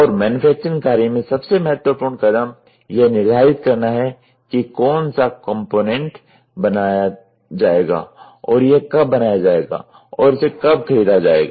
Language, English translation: Hindi, And, important step that is included in the manufacturing work is to determine which component will be made and when it will be made when it will be purchased or where it will be purchased